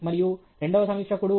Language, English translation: Telugu, 7 and, second reviewer is 0